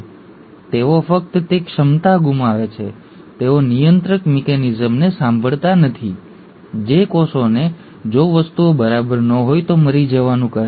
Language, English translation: Gujarati, They just lose that ability, they don’t listen to the restraining mechanism which asks the cells to die if things are not fine